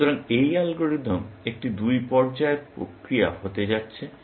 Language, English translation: Bengali, So, this algorithm is going to be a two stage process